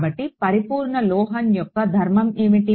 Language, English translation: Telugu, So, what is the property of a perfect metal